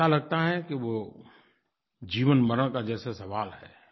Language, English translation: Hindi, It seems to become a question of life and death